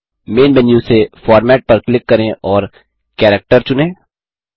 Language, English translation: Hindi, From the Main menu, click Format and select Character